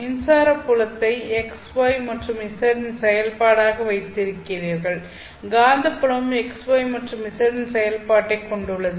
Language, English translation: Tamil, So you have electric field as a function of x, y and z, magnetic field also as a function of x, y and z